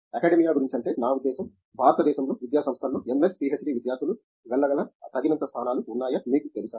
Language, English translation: Telugu, What about you know academia I mean, are there enough positions in academic you know institutions in let’s say, in India that MS, PhD students could go to